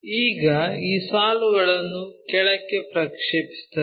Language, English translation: Kannada, Now, project these lines all the way down